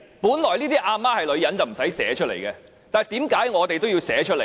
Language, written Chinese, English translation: Cantonese, 本來這些"阿媽是女人"的條文不用寫出來，但為何我們也要寫出來？, In fact this provision which is comparable to the undeniable statement of mothers are women does not need to be written out but why do we have to spell it out?